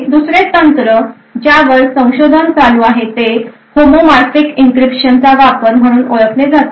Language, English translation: Marathi, Another technique where there is a considerable amount of research going on is to use something known as Homomorphic Encryption